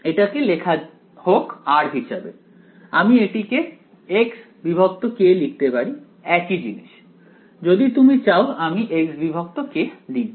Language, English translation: Bengali, Let just write it I mean let us it write it as r I can write it as x by k, so same thing ok, if you want I will write it as x by k ok